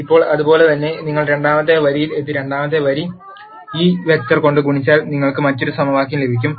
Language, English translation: Malayalam, Now, similarly if you get to the second row and multiply the second row by this vector you will get another equation